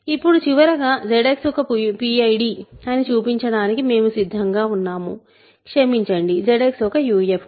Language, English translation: Telugu, And now finally, we are ready to show that Z X is a PID sorry Z X is a UFD